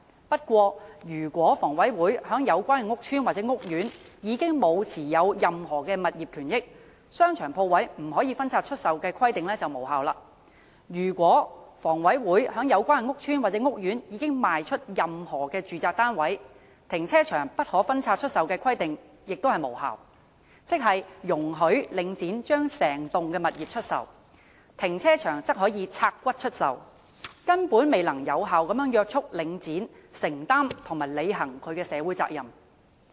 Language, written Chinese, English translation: Cantonese, 不過，如果房委會在有關屋邨或屋苑已沒有持有任何物業權益，商場鋪位不可分拆出售的規定便無效；如果房委會在有關屋邨或屋苑已賣出任何住宅單位，停車場不可分拆出售的規定亦屬無效，即是容許領展將整棟物業出售，停車場則可"拆骨"出售，根本未能有效約束領展承擔和履行其社會責任。, However if HA no longer holds any proprietary interest in the relevant estate or court the restriction that the shopping centre shall not be disposed of except as a whole will no longer be effective . If HA has disposed of any residential units in the relevant estate or court the restriction that the car parking facilities shall not be disposed of except as a whole will no longer be effective either . In other words Link REIT is allowed to dispose of the properties as a whole while car parking facilities can be disposed of in parts